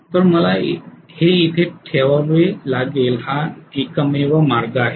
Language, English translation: Marathi, So I have to put this here, put this here that is the only way out